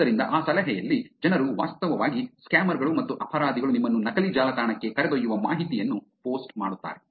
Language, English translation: Kannada, So, in that tip, people actually, the scammers and the criminals actually post information that can take you to a fake website